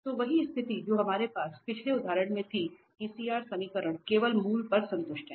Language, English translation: Hindi, So the same situation what we had in the previous example that CR equations are satisfied only at origin